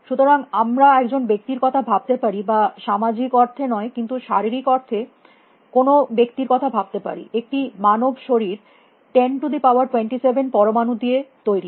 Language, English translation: Bengali, So, we can think of a person or person not in the social sense, but in the physical sense; a human body is made up of about 10 raise to 27 atoms